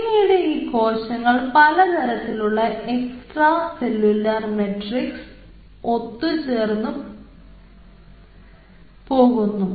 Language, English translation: Malayalam, so these cells were adapting to different extracellular matrix at the initially